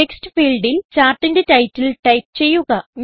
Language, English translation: Malayalam, In the Text field, type the title of the Chart